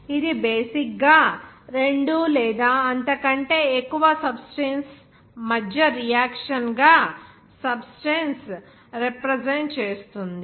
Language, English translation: Telugu, This is basically represented by a substance that involves results from a reaction between two or more substances